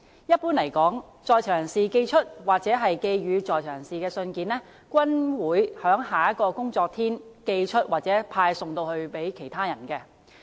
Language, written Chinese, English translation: Cantonese, 一般而言，在囚人士寄出或寄予在囚人士的信件均會在下一個工作天寄出或派送給在囚人士。, In general letters sent by and sent to inmates will be sent out or delivered to them on the next working day